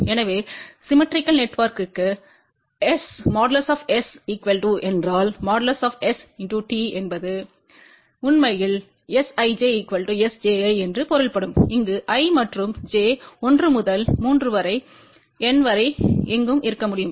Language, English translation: Tamil, So, for symmetrical network if S is equal to S transpose that really means S ij is equal to S ji, where i and j can be anywhere from 1 to 3 up to N